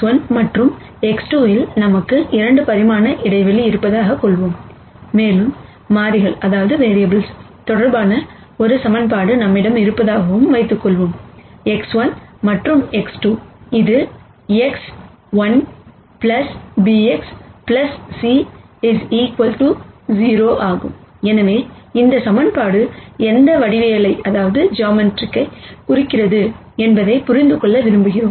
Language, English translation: Tamil, Let us assume that we have a 2 dimensional space in X 1 and X 2, and let us also assume that we have one equation that relates the variables; X 1 and X 2 which is ax 1 plus bx plus c equals 0